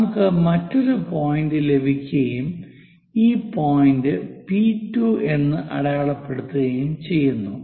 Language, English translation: Malayalam, So, mark this point P 2